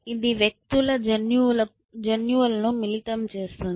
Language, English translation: Telugu, It mixes up genes of individuals